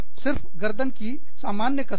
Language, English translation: Hindi, Just, plain neck exercises